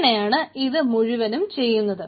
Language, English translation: Malayalam, so this way the whole thing goes on